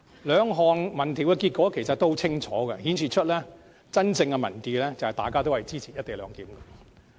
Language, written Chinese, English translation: Cantonese, 兩項民調的結果都很清楚，並顯示出真正的民意，便是大家都支持"一地兩檢"。, Both surveys have expressly demonstrated the genuine opinion among the public in which most of the people do support the co - location proposal